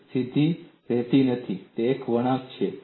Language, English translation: Gujarati, It is not a straight line; it is a curve; this is a curve